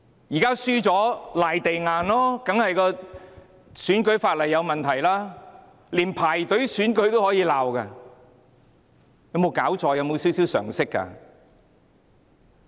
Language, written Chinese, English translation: Cantonese, 現在輸了便"賴地硬"，說選舉法例有問題，連排隊投票都可以批評，有沒有搞錯，有沒有少許常識呢？, They even criticized the arrangement of queuing to cast votes . What is wrong with them? . Do they have any common sense?